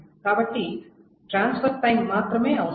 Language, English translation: Telugu, So the only time that is required is the transfer time